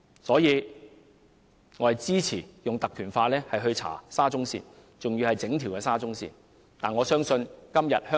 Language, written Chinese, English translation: Cantonese, 因此，我支持引用《立法會條例》調查整條沙中線的工程問題。, Therefore I am in favour of invoking the Ordinance to investigate the construction problems of the entire SCL